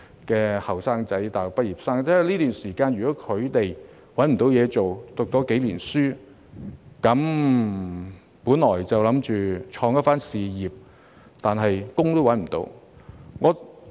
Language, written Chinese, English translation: Cantonese, 在這段期間，如果他們找不到工作......唸書數年，本想創一番事業，卻找不到工作。, In this period if they cannot find a job Having studied for quite some years they should have aspired to build a career but they have been unable to secure a job